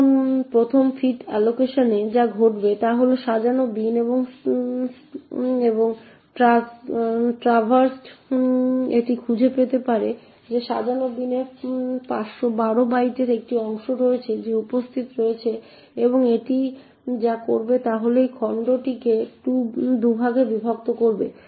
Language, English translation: Bengali, Now in the first fit allocation what would happen is the unsorted bin and traversed it could find that in this unsorted bin there is a chunk of 512 bytes that is present and therefore what it would do is it would split this chunk into 2 parts